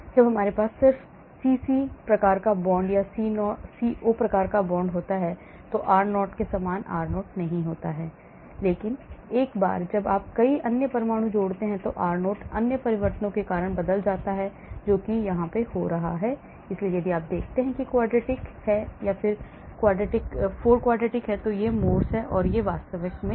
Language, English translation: Hindi, So r0 will not be the same as the r0 when we have just CC type of bond or CO type of bond, but once you add many other atoms, the r0 changes because of the other interactions that is happening, , so if you look at it this is the quadratic, this is the 4 quadric and this is the Morse and this is the actual exact